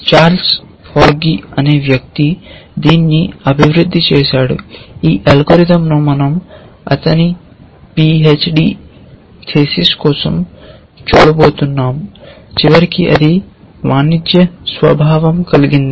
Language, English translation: Telugu, It was developed by a guy called Charles Forgy who implemented this algorithm that we are going to look at for his p h d thesis and then eventually of course, it became something which was commercial in nature